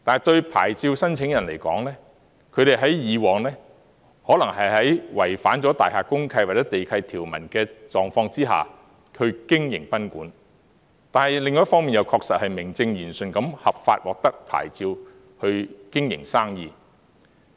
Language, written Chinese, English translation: Cantonese, 對牌照申請人來說，他們以往可能在違反大廈公契或地契條文的狀況下經營賓館，但另一方面，確實是明正言順，合法獲得牌照去經營生意。, As to the applicants they might have been violating such provisions in the course of operating the guesthouses in the past . But on the other hand they have been doing businesses in a right and proper way as they have obtained the licences in a legal way